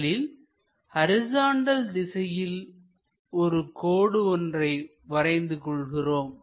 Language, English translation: Tamil, So, let us draw that on our sheet first thing what we have to do draw a horizontal line